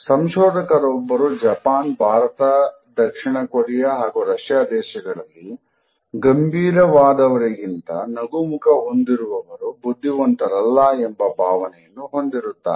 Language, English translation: Kannada, One researcher found in countries like Japan, India, South Korea and Russia smiling faces were considered less intelligent than serious ones